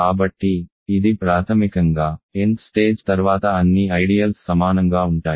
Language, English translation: Telugu, So, beyond the nth stage, all ideals are equal